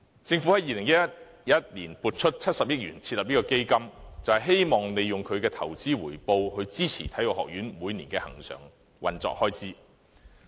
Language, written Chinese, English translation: Cantonese, 政府在2011年撥出70億元設立基金，就是希望利用其投資回報，支持香港體育學院每年的恆常運作開支。, The Government earmarked 7 billion to set up the Fund in 2011 with the aim of using its investment return to support the annual recurrent operating expenses of the Hong Kong Sports Institute HKSI